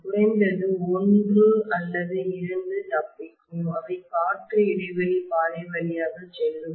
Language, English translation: Tamil, At least one or two will escape and they will go through the air gap path